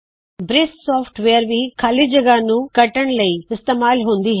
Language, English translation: Punjabi, The software briss can also be used to crop the white space